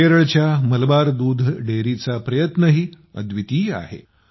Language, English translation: Marathi, The effort of Malabar Milk Union Dairy of Kerala is also very unique